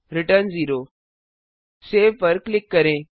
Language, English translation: Hindi, Return 0 Click on Save